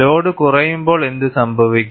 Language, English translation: Malayalam, And when I reduce the load, what would happen